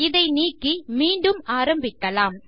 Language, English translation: Tamil, Lets get rid of this and start again